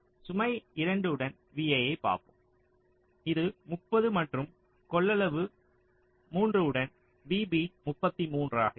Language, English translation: Tamil, lets see v a with load two, it is thirty, and v b with capacitance three is thirty three